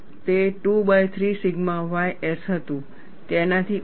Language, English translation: Gujarati, It was 2 by 3 sigma y s, less than that